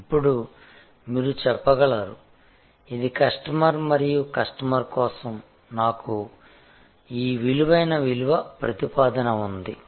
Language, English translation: Telugu, Now, you can say, this is the customer and for this customer, I have this bunch of value proposition